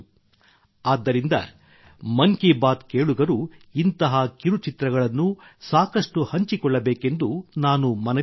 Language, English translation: Kannada, Therefore, I would urge the listeners of 'Mann Ki Baat' to share such shorts extensively